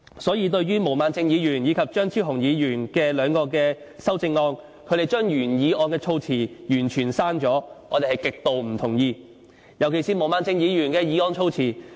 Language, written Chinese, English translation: Cantonese, 所以，對於毛孟靜議員和張超雄議員兩位的修正案，他們將原議案的措辭完全刪去，我們是極之不同意的——尤其是毛孟靜議員的修正案的措施。, For that reason we strongly oppose the complete deletion of the wording of the original motion in Ms Claudia MOs and Dr Fernando CHEUNGs amendments―especially the measures proposed in Ms Claudia MOs amendment